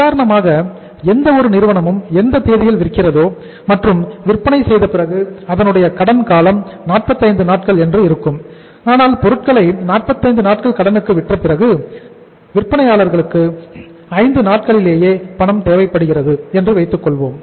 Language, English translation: Tamil, Say for example any firm sells on any date and after selling means the credit period is 45 days but after selling means after 5 days after selling the material on a credit period of 45 days from the seller, the selling firm needs the funds right